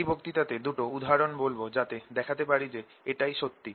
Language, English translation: Bengali, in this lecture i am going to do two examples to show this is true